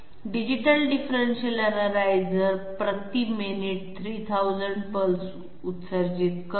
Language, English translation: Marathi, A Digital differential analyzer is to emit 3000 pulses per minute